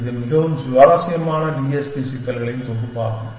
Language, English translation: Tamil, And it is a collection of very interesting TSP problems